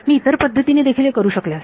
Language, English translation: Marathi, I could have done at the other way also